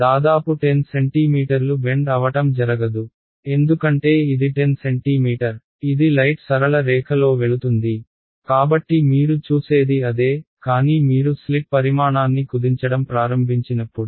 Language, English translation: Telugu, Almost 10 centimeter right there is no bending happening because it is 10 centimeter this is light will just go in a straight line, so that is what you see, but when you begin to shrink the size of the slit right